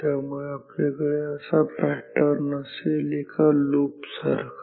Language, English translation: Marathi, So, we will have a pattern like this, like a loop ok